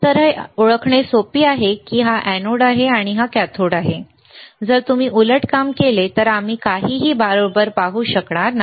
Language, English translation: Marathi, So, is easy we identify that yes this is anode this is cathode, if you do reverse thing we will not be able to see anything correct